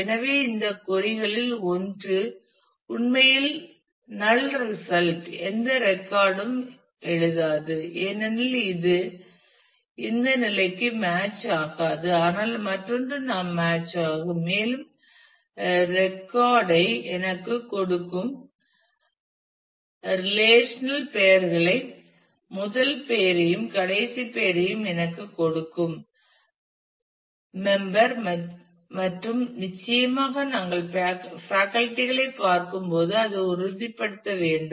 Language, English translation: Tamil, So, one of these queries will actually return a null result will not written any record because it will not match this condition, but the other one we will match and will give me the record give me the corresponding names first name and last name of the member and certainly to ensure that when we are looking at the faculty